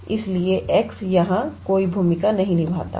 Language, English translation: Hindi, So, x does not play any role here